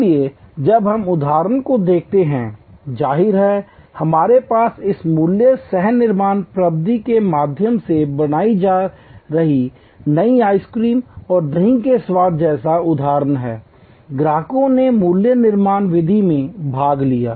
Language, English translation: Hindi, So, when we look at the examples; obviously, we have examples like new ice cream and yogurt flavors being created through this value co creation method, customers participated in value creation method